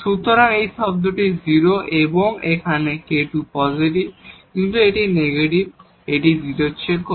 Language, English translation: Bengali, So, this term is 0 and here this k square is positive, but this is negative this is less than 0